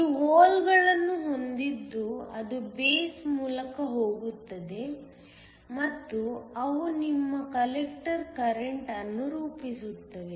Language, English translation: Kannada, You have holes it go through the base and they form your collector current